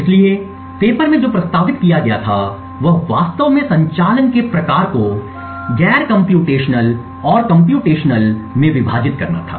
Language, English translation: Hindi, So, what was proposed in the paper was to actually divide the type of operations into non computational and computational